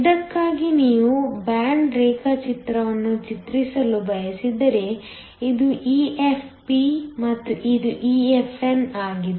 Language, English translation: Kannada, If you were to draw the band diagram for this, this is EFp and this is EFn